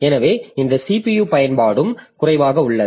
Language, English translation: Tamil, So, this CPU utilization is also low